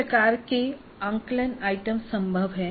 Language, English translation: Hindi, What kind of assessment items are possible